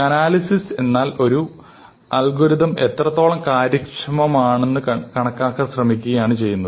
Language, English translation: Malayalam, So, analysis means trying to estimate how efficient an algorithm is